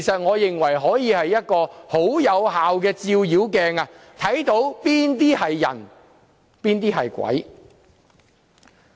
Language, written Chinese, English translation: Cantonese, 我認為這是一面很有效的照妖鏡，分清誰是人，誰是鬼。, I consider it an effective demon - revealing mirror to distinguish evil from good